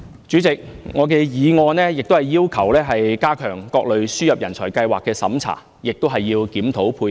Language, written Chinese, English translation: Cantonese, 主席，我的議案亦要求加強各類輸入人才計劃的審查，並檢討配額。, President I also propose in my motion that the vetting and approval of various talent admission schemes should be enhanced and the corresponding quota should be reviewed